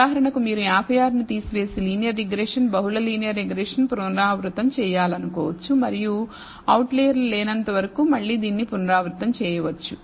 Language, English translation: Telugu, For example, you may want to remove 56 and redo the linear regression multi multiple linear regression and again repeat it until there are no outliers